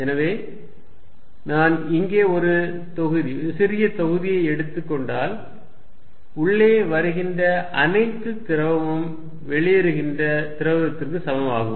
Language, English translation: Tamil, So, let us see if I take a volume small volume here, if whatever that fluid is coming in whatever is leaving is equal